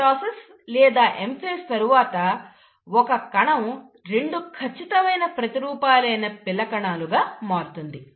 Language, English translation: Telugu, So what happens is, after the mitosis or the M phase, you find that the single cell becomes two exact copies as the daughter cells